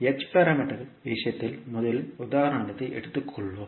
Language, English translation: Tamil, Let us take first the example in case of h parameters